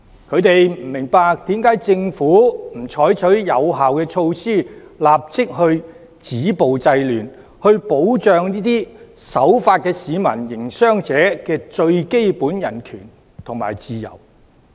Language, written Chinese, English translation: Cantonese, 他們不明白為何政府不採取有效措施，立即止暴制亂，保障這些守法的市民和營商者最基本的人權和自由？, They do not understand why the Government has not adopted effective measures to immediately stop violence and curb disorder and to protect the basic human rights and freedom of the law - abiding citizens and business operators